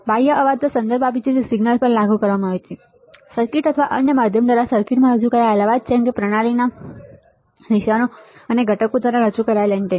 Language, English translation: Gujarati, External refers to noise present in the signal being applied to the circuit or to the noise introduced into the circuit by another means, such as conducted on a system ground or received one of them many antennas from the traces and components in the system